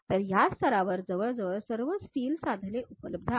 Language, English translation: Marathi, So, almost all these steels tools available at this level